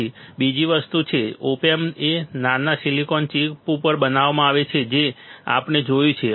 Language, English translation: Gujarati, Then what is another thing, the op amp is fabricated on tiny silicon chip we have seen that right